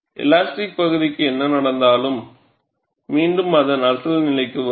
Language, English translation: Tamil, Whatever that has happened to the elastic region, it will spring back to its original position